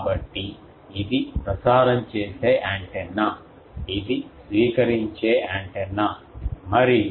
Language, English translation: Telugu, So, this is a transmitting antenna, this is a receiving antenna, and